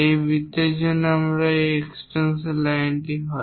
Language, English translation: Bengali, For this circle these are the extension lines